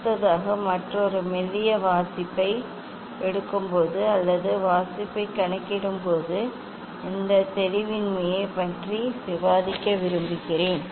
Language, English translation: Tamil, Next another thin I would like to discuss this ambiguity during taking reading or during calculation of the reading